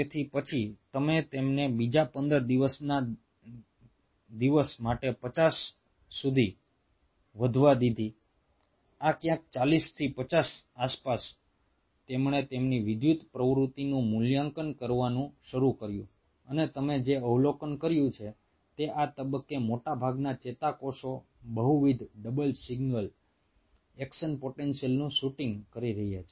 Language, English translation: Gujarati, day fifty, somewhere around this forty to fifty, he started to evaluate their electrical activity and what you observe is most of the neurons at this stage are shooting multiple, double, single action potentials